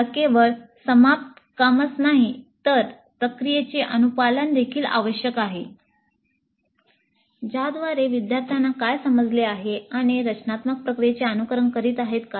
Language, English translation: Marathi, We need to assess not only the finished work, but also the compliance to the process to what extent the students have understood and are following the design process